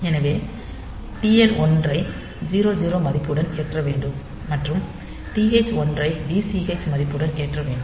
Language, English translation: Tamil, So, TL1 should be loaded with this 00 value and TH1 should be loaded with this DCx, value DCH value